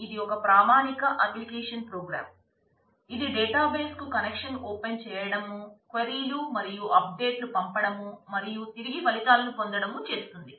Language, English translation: Telugu, So, again it has to open a connection to the database, send queries and updates and get back results